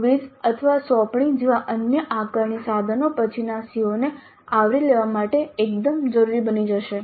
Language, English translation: Gujarati, So, the other assessment instruments like a quiz or an assignment would become absolutely essential to cover the later COS